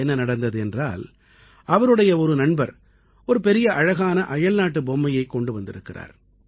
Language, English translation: Tamil, It so happened that one of his friends brought a big and beautiful foreign toy